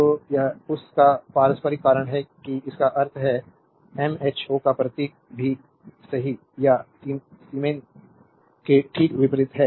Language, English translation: Hindi, So, it is reciprocal of that that is why it is mean mho or symbol is also just opposite right or siemens